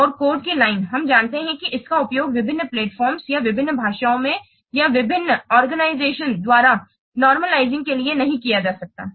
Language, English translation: Hindi, And line shape code, we know that it cannot be used for normalizing across different platforms or different languages or by different organizations